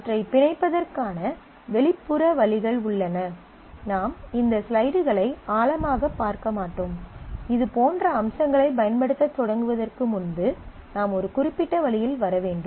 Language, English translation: Tamil, So, there are external ways of binding, I will not go through these slides in depth, because again the you will have to come a certain way before you can actually start using such features